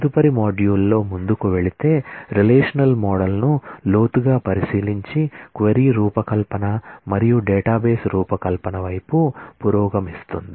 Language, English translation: Telugu, Going forward in the next module, will take a deeper look into the relational model and start progressing towards the query design and database design